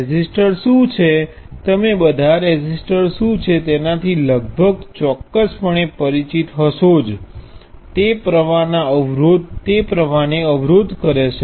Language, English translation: Gujarati, What is the resistor, you are all almost certainly familiar with what the resistor is, it resists the flow of current